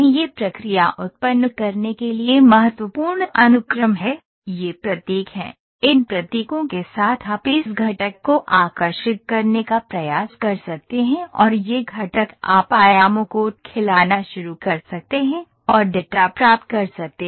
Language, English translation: Hindi, This is the key sequence to generate the process, these are the symbols, with these symbols you can try to draw this component and this component you can start feeding the dimensions and get the data